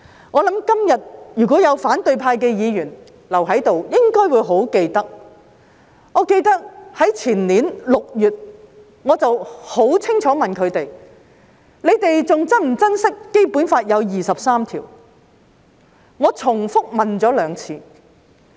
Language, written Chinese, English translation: Cantonese, 我相信，今天如果有反對派留在議會，他們應該記得，我也記得，在前年6月，我曾清楚地問他們是否還珍惜《基本法》有第二十三條，我重複問了兩次。, I believe that if any Members of the opposition camp remain in this Council today they should remember as I do that in June of the year before last I asked them clearly whether they still cherished the inclusion of Article 23 in the Basic Law and I repeated the question twice